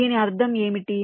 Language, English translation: Telugu, what does this mean